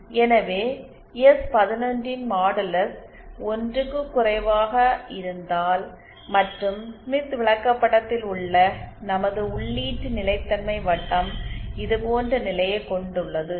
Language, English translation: Tamil, Hence if modulus of s11 is less than 1 and our input stability circle at smith chart have position like this